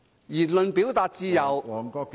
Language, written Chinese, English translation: Cantonese, 言論表達自由......, The freedom of speech and expression